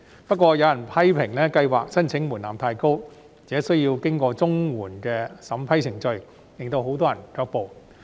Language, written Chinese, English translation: Cantonese, 不過，有人批評特別計劃的申請門檻太高，而且需要經過綜援的審批程序，令很多人卻步。, However some people have criticized that the application threshold of the Special Scheme is too high and it is necessary to go through the vetting and approval procedures of CSSA which have deterred many people from making applications